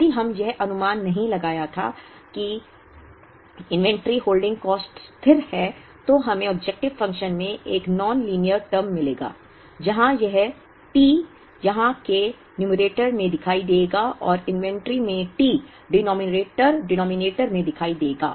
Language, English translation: Hindi, If we had not made this assumption that the inventory holding cost is a constant, then we would get a non linear term in the objective function, where this T will appear in the numerator here, and the T will appear in the denominator in the inventory